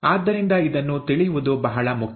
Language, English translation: Kannada, So this is important to know